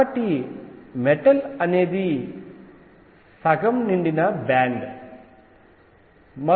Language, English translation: Telugu, So, metal is one where band is half filled